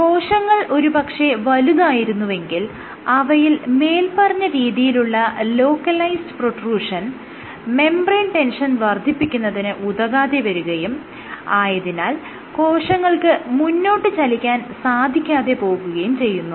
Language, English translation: Malayalam, If the cell was huge then this kind of localized protrusion would not lead to accumulation of membrane tension as a consequences cell would not move forward